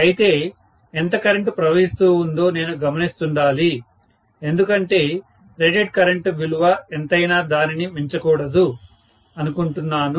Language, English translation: Telugu, But, I have to keep an eye on how much is the current that is flowing because I do not want to exceed whatever is the rated current value